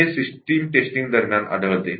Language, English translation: Marathi, How do we do the system testing